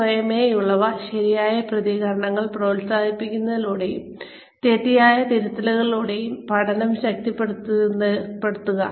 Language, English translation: Malayalam, Reinforce learning, by encouraging autocorrect responses, and correcting the incorrect ones, immediately after occurrence